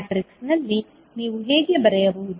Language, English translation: Kannada, So, in matrix from how you can write